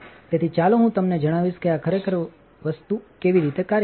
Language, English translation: Gujarati, So, let me tell you how this thing actually works